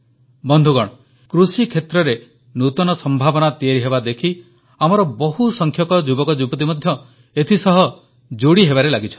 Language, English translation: Odia, Friends, with emerging possibilities in the agriculture sector, more and more youth are now engaging themselves in this field